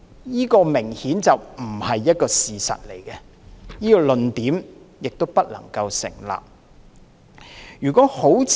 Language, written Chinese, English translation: Cantonese, 這明顯不是事實，這個論點亦不能夠成立。, That is obviously not true and the argument does not hold water